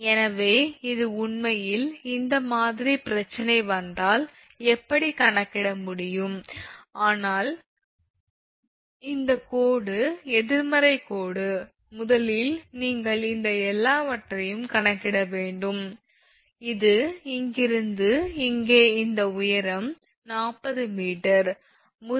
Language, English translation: Tamil, So, this is actually that how one can calculate if this kind of problem comes, but this dashed line negative line first you have to calculate all these things and this is actually from here to here this is actually this height is actually 40 meter and this is also 40 meter